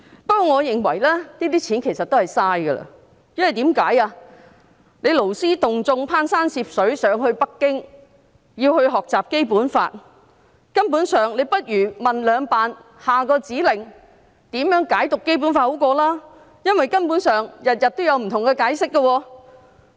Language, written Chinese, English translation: Cantonese, 不過，我認為這些錢其實是浪費的，因為勞師動眾，攀山涉水到北京，學習《基本法》，倒不如詢問"兩辦"，下一個指令是甚麼，如何解讀《基本法》為好，因為每天有不同的解釋。, I think the money is wasted . Instead of taking the trouble to mobilize these people to travel all the way to Beijing to learn about the Basic Law it would be better to ask the two Offices for instruction on how the Basic Law should be interpreted since different interpretations may arise at different times